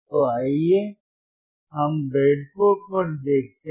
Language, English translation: Hindi, So, let us see on the breadboard